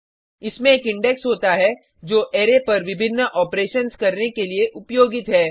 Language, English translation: Hindi, It has an index, which is used for performing various operations on the array